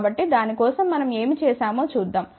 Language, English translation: Telugu, So, for that let us just see what we had done